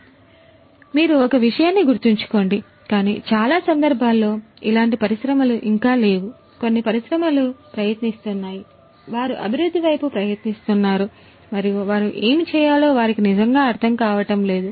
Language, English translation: Telugu, So, remember one thing that none of not none, but in most of the cases these industries are not there yet they are trying to; they are striving towards improvement and they do not really always understand what they will have to do